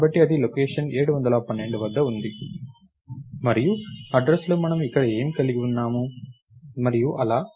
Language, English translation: Telugu, So, thats at location 7, 12 and thats what we have here in the address and so, on